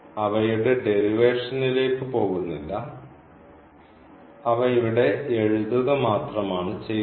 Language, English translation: Malayalam, So, we will not go for the derivation, we will just write down the rules here